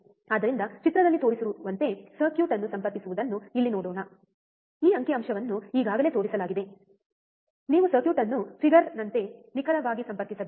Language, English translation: Kannada, So, let us see here connect the circuit as shown in figure, this figure is already shown, you have to connect the circuit exactly like a figure